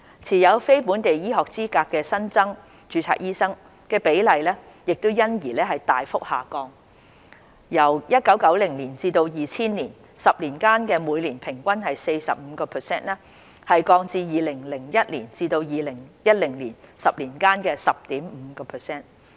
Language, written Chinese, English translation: Cantonese, 持有非本地醫學資格的新增註冊醫生所佔比例因而大幅下降，由1991年至2000年10年間的每年平均 45% 降至2001年至2010年10年間的 10.5%。, As a result the share of newly registered doctors with non - local medical qualifications dropped significantly from an average of 45 % for the 10 years between 1991 and 2000 to 10.5 % for the 10 years between 2001 and 2010